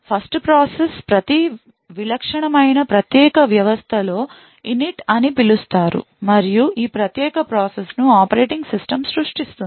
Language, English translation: Telugu, The 1st process in every typical unique system is known as Init and this particular process is created by the operating system